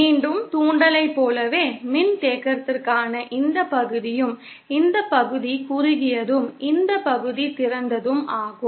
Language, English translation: Tamil, Again just like for inductance, this portion for the capacitance, this part is the short and this part is the open